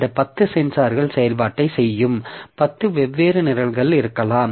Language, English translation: Tamil, So, maybe all these 10 sensors, there can be 10 different programs which are doing the operation